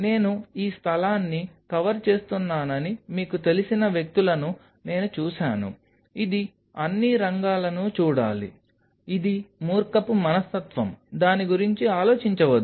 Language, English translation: Telugu, I have seen people you know I am covering this space it should look all field, which is foolish mentality do not do that think over it that